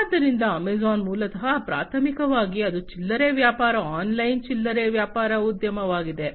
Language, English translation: Kannada, So, Amazon is originally primarily, it is a retail business online retail business enterprise